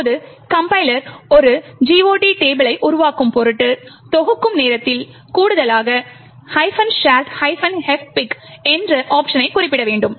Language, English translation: Tamil, Now, in order that the compiler generates a GOT table, we need to specify additional option at compile time which is minus shared minus fpic